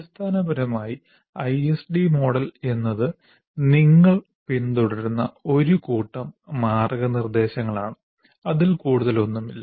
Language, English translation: Malayalam, So essentially, ISD model is a set of guidelines that you follow